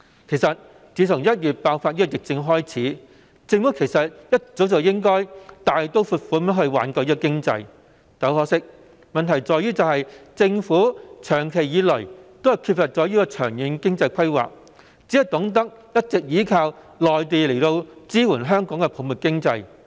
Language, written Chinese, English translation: Cantonese, 其實，政府從1月疫情爆發起，便應該一早大刀闊斧地挽救經濟，但很可惜，問題在於政府長期缺乏長遠經濟規劃，只懂得一直依靠內地支援香港的泡沫經濟。, to patch things up . Actually the Government should have saved the economy in a bold and decisive manner since the outbreak of the epidemic in January . But regrettably in the prolonged absence of long - term economic planning the Government has only resorted to depending on the Mainlands support for Hong Kongs bubble economy